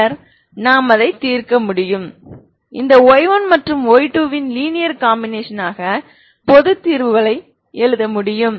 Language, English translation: Tamil, Then I can solve it I can write the general solutions as linear combination of this y 1 and y 2